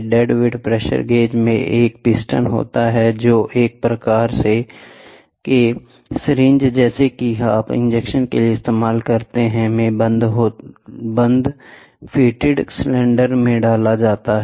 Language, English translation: Hindi, The dead weight pressure gauge comprises a piston that is inserted into a closed fitted cylinder like your syringe, which you use for injection